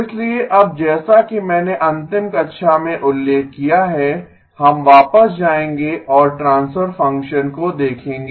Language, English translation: Hindi, So now as I mentioned in the last class, we will go back and look at the transfer function